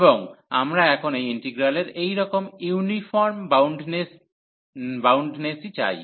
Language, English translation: Bengali, And this is what we we want for uniform boundedness of this integral now